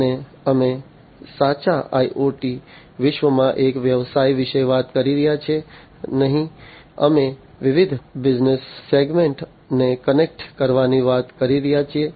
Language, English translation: Gujarati, And we are talking about not one business in a true IoT world, we are talking about connecting different business segments